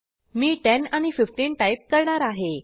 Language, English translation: Marathi, I will enter 10 and 15